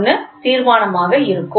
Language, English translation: Tamil, 001 will be the resolution